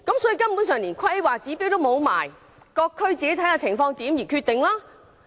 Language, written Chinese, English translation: Cantonese, "換言之，連規劃標準也沒有，各區須自行視乎情況而定。, In other words there is no standard at all and individual district can decide on its own